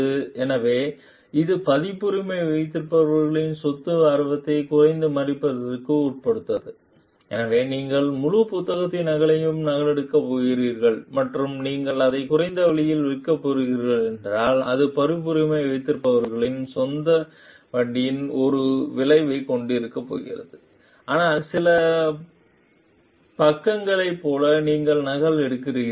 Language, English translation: Tamil, So, that it does not undermine the copyright holders property interest so, if you are just going to copy the photocopy the whole book and you are going to sell it in a lower price maybe it is going to like have an effect on the copyright holders property interest, but if like some pages you photocopy